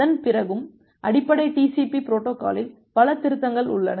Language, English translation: Tamil, Even after that there are multiple amendment over the basic TCP protocol